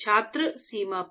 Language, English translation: Hindi, At the boundary